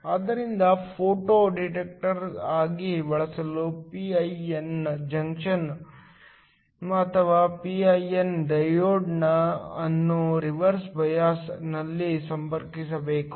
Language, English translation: Kannada, So, for use as a photo detector, the p i n junction or the p i n diode must be connected in reverse bias